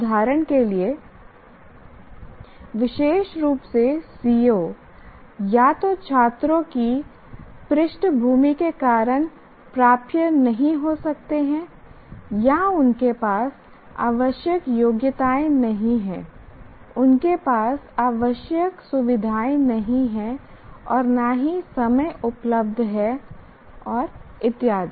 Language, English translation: Hindi, For example, a particular CVO may not be attainable either because of the background of the students or they don't have prerequisite competencies, they don't have the required facilities nor time available and so on